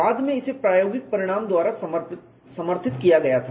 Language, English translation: Hindi, Later on it was supported by experimental result